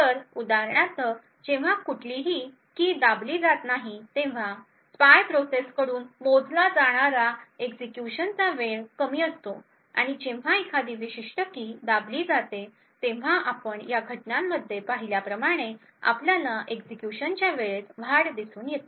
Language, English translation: Marathi, So, for example when no keys are pressed the execution time which is measured by the spy process is low and when a particular key is pressed then we see an increase in the execution time as you see in these instances